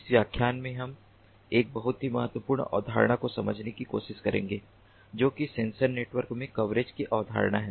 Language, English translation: Hindi, in this lecture will try to understand a very important concept, which is the ah coverage, the concept of coverage in sensor networks